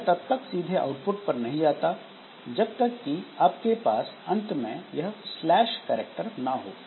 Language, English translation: Hindi, So, it does not go to the output directly until and unless you have got a slash n character at the end